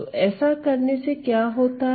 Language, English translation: Hindi, So, what happens is that when I do that